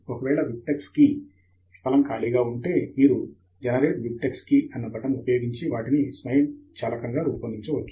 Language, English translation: Telugu, In case if BibTex key field is empty, you can use the Generate BibTex Keys button that is here to generate them automatically